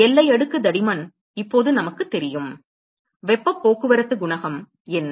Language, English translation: Tamil, We know the boundary layer thickness now, what is the heat transport coefficient